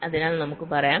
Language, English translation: Malayalam, so lets say so